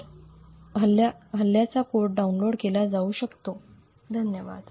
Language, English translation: Marathi, So, the code for the attack can be downloaded, thank you